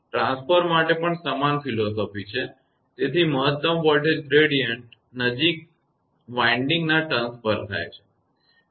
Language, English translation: Gujarati, Same philosophy for transformer also, so maximum voltage gradient takes place at the winding turns nearest to the conductor